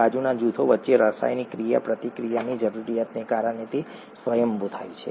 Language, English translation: Gujarati, Its happens spontaneously, because of the need for the chemical interaction between the side groups